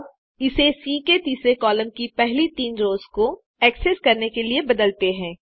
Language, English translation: Hindi, Now, let us modify this to access only the first three rows, of column three of C